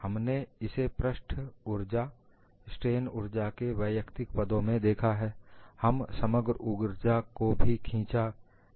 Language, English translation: Hindi, We have looked at in terms of individually plotting surface energy, strain energy, and the total energy is also drawn